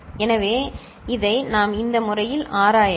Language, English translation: Tamil, So, we can examine it in this manner